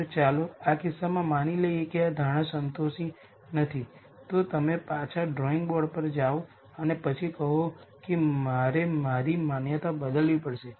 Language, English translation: Gujarati, So, let us assume in this case that this assumption is not satisfied then you go back to the drawing board and then say I have to change my assumption